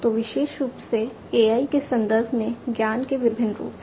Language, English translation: Hindi, So, there are different forms of knowledge particularly in the context of AI